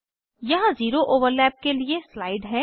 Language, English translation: Hindi, Here is a slide for zero overlap